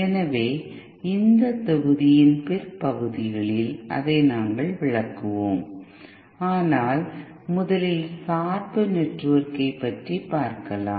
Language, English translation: Tamil, So that is what we will expose in the later parts of this module, but first the bias network